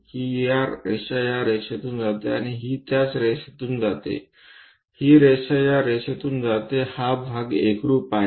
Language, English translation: Marathi, This line comes from this line and this one comes from that line similarly, this line comes from this line this part coincides